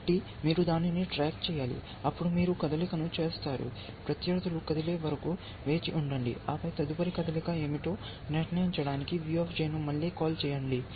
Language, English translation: Telugu, So, you must keep track of that then you will make the move, wait for opponents move, and then again make a call to V J to decide what is the next move